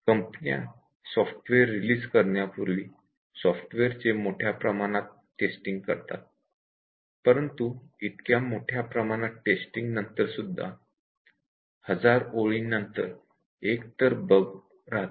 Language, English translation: Marathi, The companies before they release software the test it extensively and results say, that after extensive testing of software still one bug per 1000 lines of code, source code still remain